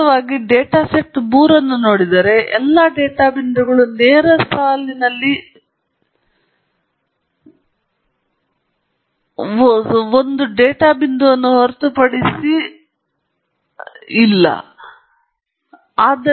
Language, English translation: Kannada, In fact, if you look at data set 3, all the data points lie on a straight line except for one data point that’s an outlier right